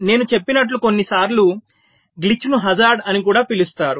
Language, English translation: Telugu, so, as i had said, a glitch, which sometimes is also known as hazard